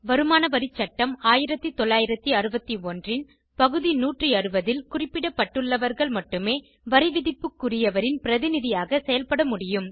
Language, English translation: Tamil, Only those specified in Section 160 of the Income tax Act, 1961 can act as representative assessees